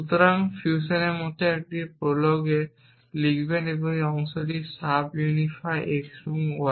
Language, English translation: Bengali, So, will write in a prolog like fusion this part that is sub unify x y